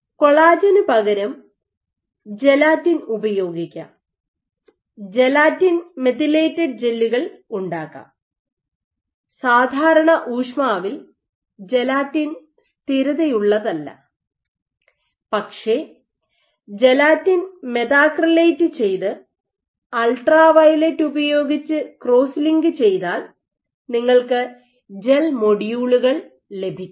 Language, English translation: Malayalam, So, instead of collagen you might make use of gelatin and make gelatin methylated gels gelatin is not stable at room temperature its solubilizes, but if you methacrylate the gelatin and then crosslinked using UV then you can get gel modules